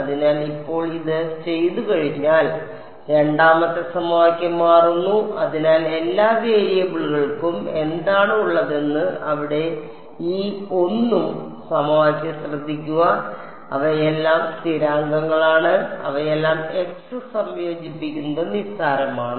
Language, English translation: Malayalam, So, now, having done this the second equation becomes, so notice this 1st equation over here what all variables does it have U 1 U 2 U 3 and they are all constants that are a function of x integrating them is trivial